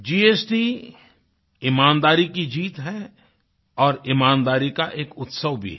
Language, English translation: Hindi, GST is not only the victory of integrity but it is also a celebration of honesty